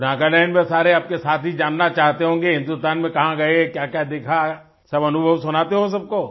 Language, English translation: Hindi, So, all your friends in Nagaland must be eager to know about the various places in India, you visited, what all you saw